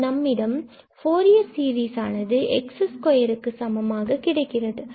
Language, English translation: Tamil, So consider, for instance the Fourier series of this function f x equal to x